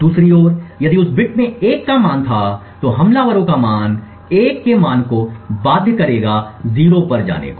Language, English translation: Hindi, On the other hand if the value of a in that ith bit was 1 the attackers fault would force the value of a to go to 0